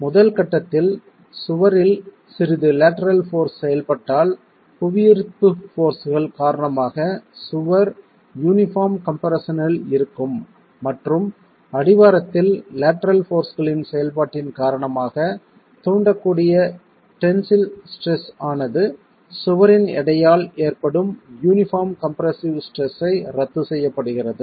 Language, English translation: Tamil, So, in the first stage if you have slight lateral force acting on the wall, the wall is in uniform compression because of the gravity forces and the tensile stresses that can be induced at the base because of the action of lateral forces get nullified by the uniform compressive stress due to the weight of the wall itself